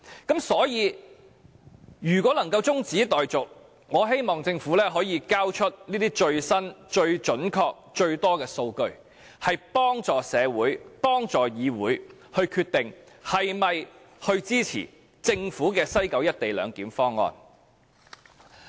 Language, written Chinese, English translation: Cantonese, 因此，如果議案能夠中止待續，我希望政府可以提交最新、最準確、最多的數據，幫助社會和議會決定是否支持政府的西九"一地兩檢"方案。, Hence if the motion debate can be adjourned I hope the Government will submit as much as possible the latest and most accurate data to help society and the Council to decide whether or not to support the Governments proposal for implementing the co - location arrangement in West Kowloon